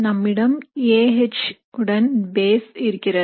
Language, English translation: Tamil, So we have A H with a base